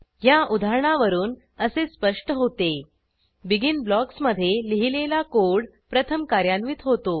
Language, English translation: Marathi, From this example, it is evident that: The code written inside the BEGIN blocks gets executed first